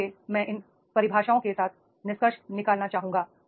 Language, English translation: Hindi, So, so I would like to conclude with these definitions